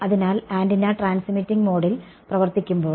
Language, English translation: Malayalam, So, when the antenna is operating in transmitting mode right